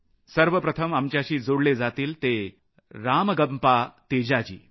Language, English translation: Marathi, to join us is Shri RamagampaTeja Ji